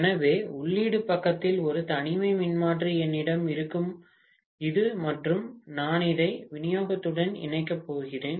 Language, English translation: Tamil, So what I will have is an isolation transformer in the input side like this and I am going to connect this to the supply